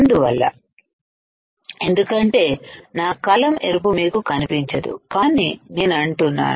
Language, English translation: Telugu, So, because of my pen is red you cannot see, but what I mean is this layer